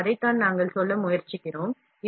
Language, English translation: Tamil, So, that is what we are trying to say